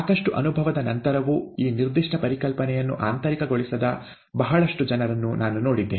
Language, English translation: Kannada, I see a lot of people even after lot of experience have not internalized this particular concept